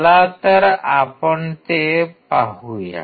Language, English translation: Marathi, So, let us see